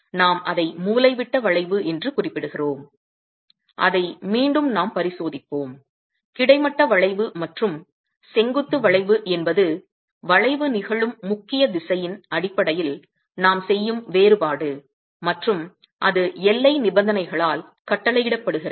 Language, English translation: Tamil, You refer to that as diagonal bending and that's again a case that we will examine and horizontal bending and vertical bending is a differentiation that we make based on the predominant direction in which the bending is occurring and that is dictated by the boundary conditions